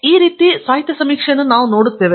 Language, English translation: Kannada, So, we are going to look at the literature survey in this manner